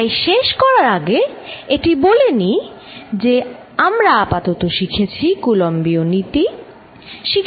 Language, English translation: Bengali, So, to conclude, what we have learnt in this chapter one, is Coulomb’s law